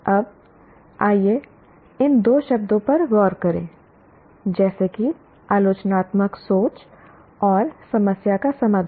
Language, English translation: Hindi, Now, let us look at these two words, namely critical thinking and what you call problem solving